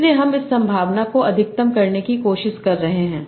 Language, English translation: Hindi, So I am trying to maximize this probability